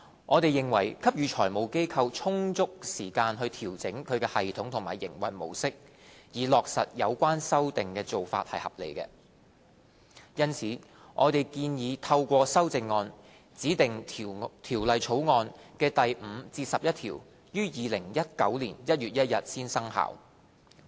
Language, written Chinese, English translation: Cantonese, 我們認為給予財務機構充足時間調整其系統及營運模式，以落實有關修訂的做法合理。因此，我們建議透過修正案，指定《條例草案》的第5至11條於2019年1月1日才生效。, As we consider it reasonable to allow FIs with sufficient time to fine - tune their systems and mode of operation for the implementation of the relevant refinements we propose moving amendments to specify 1 January 2019 as the commencement date for clauses 5 to 11 of the Bill